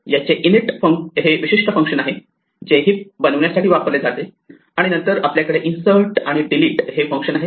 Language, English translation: Marathi, This had a special function called init, which was used to create the heap, and then we had functions insert and delete